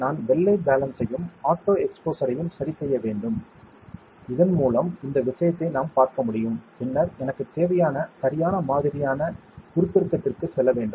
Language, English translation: Tamil, I have to adjust the white balance and the auto exposure, so that we can see this thing and then I have to go to the right kind of magnification that I need